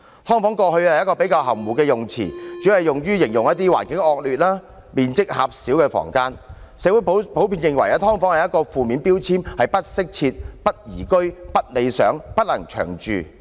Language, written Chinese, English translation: Cantonese, "劏房"過去是一個比較含糊的用詞，主要用於形容環境惡劣、面積狹小的房間，社會普遍認為"劏房"是一個負面標籤，是不適切、不宜居、不理想及不能長住的。, In the past subdivided unit was a relatively vague term used mainly to describe a room with a confined space in a gross environment . Society generally regards subdivided unit as a negative label . It is inadequate unlivable undesirable and unfit for long - term accommodation